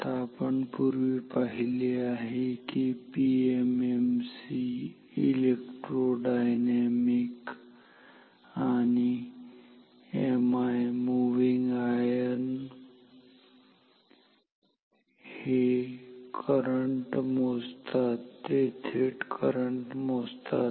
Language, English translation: Marathi, Now, we have seen previously that PMMC, electrodynamic and MI moving ion, they measure currents; they measure current directly